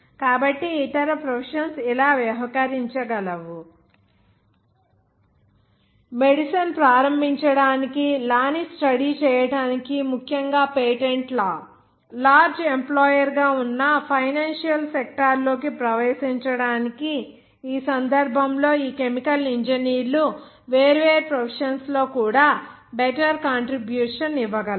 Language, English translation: Telugu, So, other professions can act like: to start the medicine, even to study law, especially patent law, to enter the financial sector which has been a large employer, in this case, these chemical engineers can give a beater contribution also in different other professions